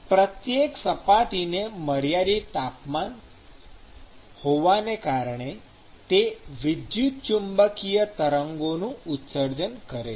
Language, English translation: Gujarati, Now, every surface by virtue of it having a finite temperature would actually emit electromagnetic waves